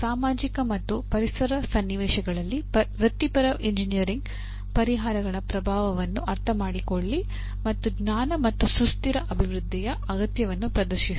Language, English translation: Kannada, Understand the impact of professional engineering solutions in societal and environmental contexts and demonstrate the knowledge of, and the need for sustainable development